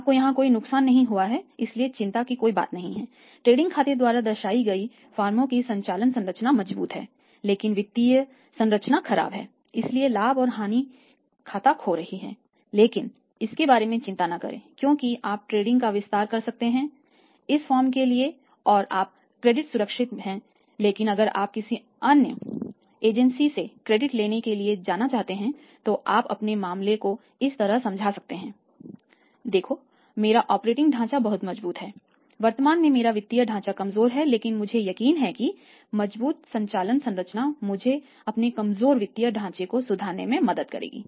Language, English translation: Hindi, You have not loss here nothing to worry about firms operating structure as shown by the trading account to strong your financial structure is poor so the say profit and loss account is exhibiting a lost not to worry about you can extend the credit to this firm and your credit is safe or if you want to go to seek the credit from any agency you can explain your case like this that look my operating structure is very, very strong my financial structural currently weak but I am sure that the strong operating structure will help me to improve my weak financial structure